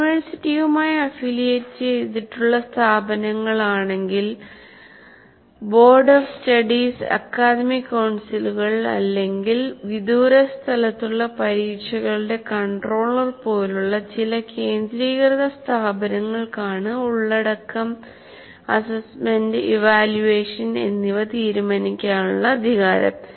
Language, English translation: Malayalam, But institutions affiliated to university, it is some centralized bodies, whatever you call them, like a board sub studies, their academic councils, they are at a distant place or the controller of exam, they have the power to decide the content, assessment and evaluation